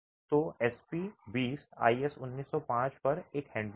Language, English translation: Hindi, So, SP20 is a handbook on IS1905